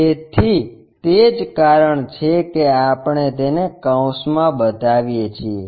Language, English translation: Gujarati, So, that is the reason we show it in parenthesis